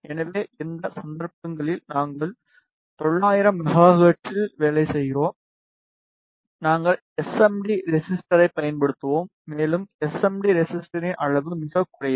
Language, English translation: Tamil, So, in this cases we are working at nine 100 megahertz we will use the SMD resistor and the size of the SMD resistor is very less